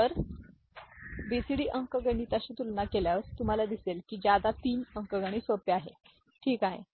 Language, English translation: Marathi, So, compared to BCD arithmetic you will see that excess 3 arithmetic is simpler, ok